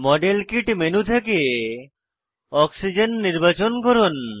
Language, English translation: Bengali, Click on the modelkit menu and check against oxygen